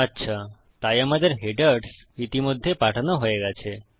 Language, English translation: Bengali, Okay so our headers have already been sent